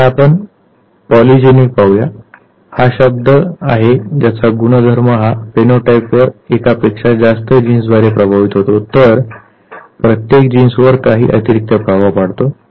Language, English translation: Marathi, Let us come to polygenic now, this is the term which is used for traits whose phenotype is influenced by more than one gene